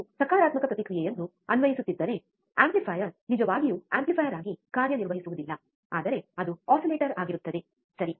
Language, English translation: Kannada, If you keep on applying positive feedback, the amplifier will not really work as an amplifier, but it will be an oscillator, right